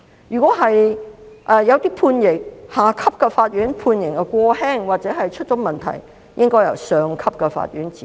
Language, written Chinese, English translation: Cantonese, 如果下級法院判刑過輕或出了問題，便應該由上級法院指正。, If a sentence imposed by a lower court is too lenient it should be rectified by a higher court